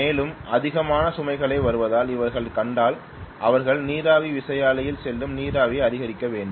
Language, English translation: Tamil, If they see that more and more loads are coming up they have to notch up the steam that is going into the steam turbine